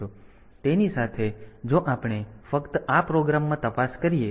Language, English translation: Gujarati, So, if we just look into this program